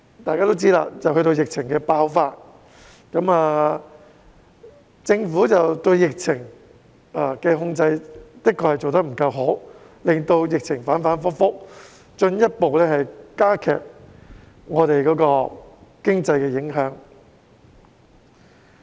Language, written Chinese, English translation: Cantonese, 大家都知道，接着便爆發疫情，政府對疫情控制的確做得不夠好，令疫情反反覆覆，進一步加劇對經濟的影響。, As we all know the pandemic broke out afterwards . The Government has indeed failed to do a good job in controlling the pandemic . The volatile pandemic situation thus resulted has further impacted the economy